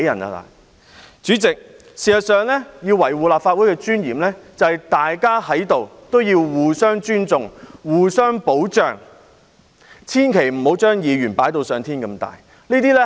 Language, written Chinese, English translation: Cantonese, 代理主席，事實上，要維護立法會的尊嚴，在於大家必須互相尊重、互相保障，千萬不要認為議員是至高無上。, This trade union is really scary . Deputy President in fact when it comes to defending the dignity of the Legislative Council we must respect each other and protect each other . We should never regard Members as being supreme